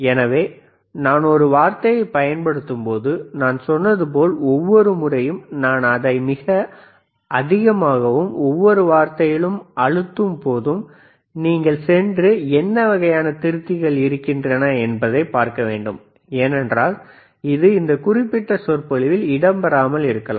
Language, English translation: Tamil, So, when I use a word, like I said, every time when I am im pressing it very heavy on and each word, you have to go and you have to see what are kinds of rectifiers;, Bbecause it may not be covered in this particular lecture